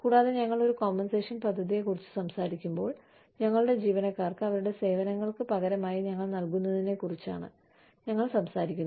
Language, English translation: Malayalam, And, when we talk about a compensation plan, we are talking about, what we give to our employees, in return for their services